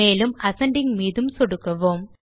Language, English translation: Tamil, And let us click on Ascending